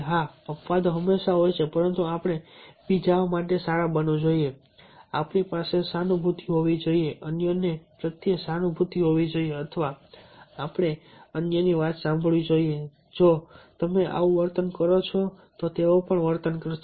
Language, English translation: Gujarati, yeah, exceptions are always there, but we should be god to others, should be have having empathy, sympathy for others, or we should listen to others, definitely, if you are behaving like this, they will also behave